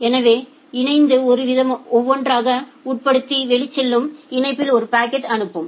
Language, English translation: Tamil, So, the link will sub it one by one and send a packet in the outgoing link